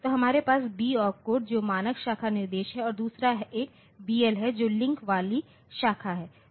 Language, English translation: Hindi, So, we will have opcodes one is the B which is the standard branch instruction and the other one is BL which is the branch with link